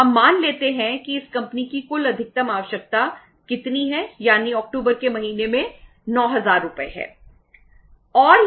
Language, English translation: Hindi, We assume that the total maximum requirement of this company is how much that is 9000 Rs in the month of October